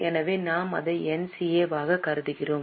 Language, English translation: Tamil, So, we will consider it as NCA